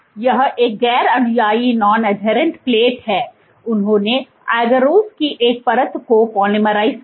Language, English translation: Hindi, So, this is a non adherent plate, they polymerized a layer of agarose